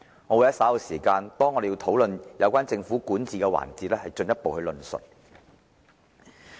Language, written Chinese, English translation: Cantonese, 我會在稍後討論有關政府管治的環節時進一步論述。, I will further elaborate on this point in the coming session on governance